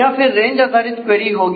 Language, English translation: Hindi, Or more range queries will be done